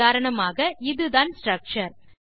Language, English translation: Tamil, For example this is the structure